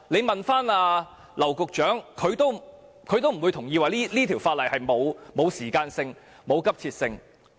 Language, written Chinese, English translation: Cantonese, 大家問劉局長，他不會同意這項《條例草案》沒有時間性和急切性。, If Secretary James Henry LAU is asked about this he will disagree that there is no time frame and urgency for the Bill